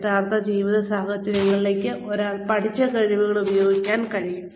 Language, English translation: Malayalam, Being able to apply the skills, that one has learnt to real life situations